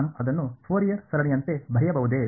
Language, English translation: Kannada, Can I write it as the Fourier series